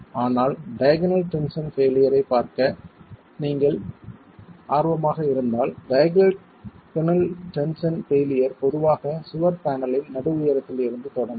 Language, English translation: Tamil, But if you are interested to look at the diagonal tension failure, diagonal tension failure would typically begin from the mid height of the wall panel itself